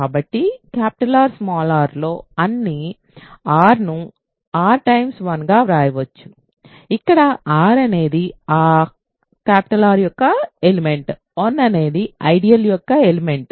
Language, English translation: Telugu, So, for all r in R r can be written as r times 1 where r is an element of R, 1 is an element of the ideal